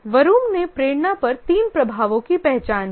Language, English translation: Hindi, Vroom identified three influences on motivation